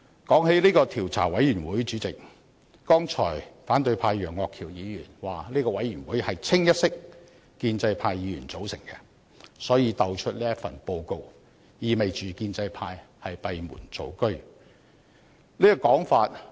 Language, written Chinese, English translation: Cantonese, 主席，提到調查委員會，剛才反對派楊岳橋議員斷言這個調查委員會清一色由建制派議員組成，意味這份報告是建制派閉門造車的結果。, I had attended the hearings as well as submitted written statements . President talking about IC just now Mr Alvin YEUNG of the opposition camp asserted that IC was purely comprised of Members from the pro - establishment camp implying that its report was the result of the pro - establishment camp working behind closed doors